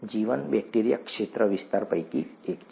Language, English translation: Gujarati, Life, bacteria is one of the domains